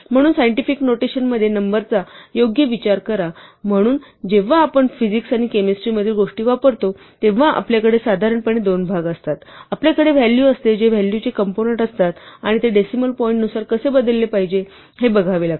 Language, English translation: Marathi, So, think of a number in scientific notation right, so, your normally have two parts when we use things in physics and chemistry for instance, we have the value itself that is what are the components of the value and we have how we must shift it with respect to the decimal point